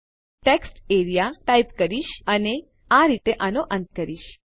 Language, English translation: Gujarati, So I will type textarea and end it like that